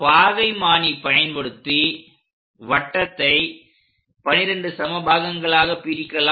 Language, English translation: Tamil, Now, circle also supposed to be divided into 12 equal parts